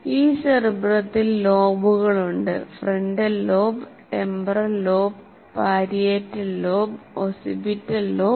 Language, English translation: Malayalam, We call it frontal lobe, temporal lobe, occipital lobe, and parietal lobe